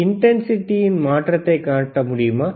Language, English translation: Tamil, So, can we please show the change in intensity